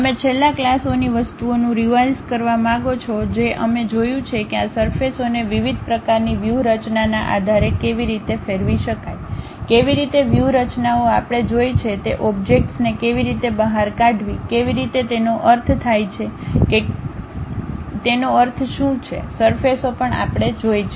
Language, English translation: Gujarati, You want to revolve the things in the last classes we have seen how to revolve these surfaces based on different kind of strategies, how to extrude the objects that kind of strategies also we have seen, how to what it means chamfering, what it means filleting of surfaces also we have seen